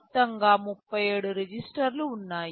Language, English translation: Telugu, In total there are 37 registers